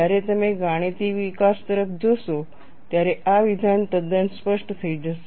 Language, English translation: Gujarati, When you look at the mathematical development, this statement would become quite clear